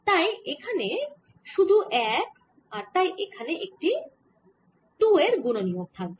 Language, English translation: Bengali, so this is only one and therefore this would be a factor of two here